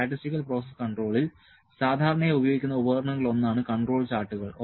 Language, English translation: Malayalam, So, control charts are one of the most commonly used tools in statistical process control